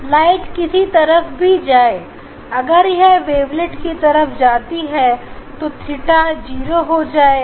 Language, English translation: Hindi, Whatever the light is going this side wavelets are going this side theta equal to 0